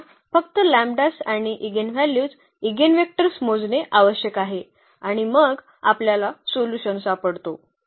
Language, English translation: Marathi, We need to just compute the lambdas and the eigenvalues eigenvectors and then we can find a solution